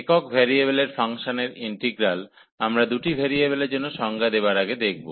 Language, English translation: Bengali, So, the integral of functions of single variable, so before we define for the two variables